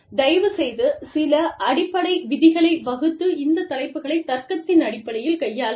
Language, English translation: Tamil, Please, lay down, some ground rules, and deal with these topics, purely on the basis of, logic